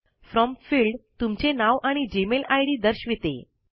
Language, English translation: Marathi, The From field, displays your name and the Gmail ID